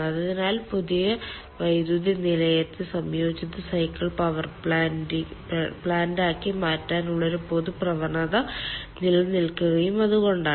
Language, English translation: Malayalam, so thats why there is a common tendency of having the new power plant as combined cycle power plant